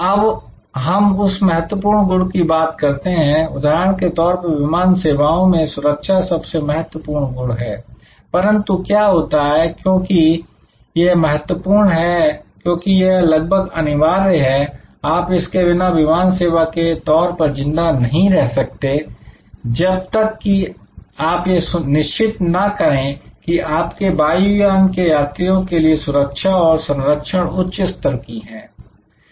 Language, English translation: Hindi, Now, important attribute for example, in airlines service safety will be an important attribute, but what happens, because it is important, because it is almost mandatory you cannot survive as an airline service unless you ensure top class security and safety for your passengers for your aircraft